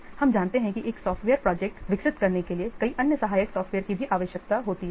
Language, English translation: Hindi, So we know that in order to develop a software project, many other supporting software are also in a date